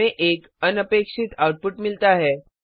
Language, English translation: Hindi, We get an unexpected output